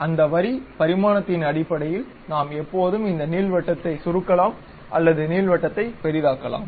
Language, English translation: Tamil, So, based on that Line dimension we can always either shrink this ellipse or enlarge the ellipse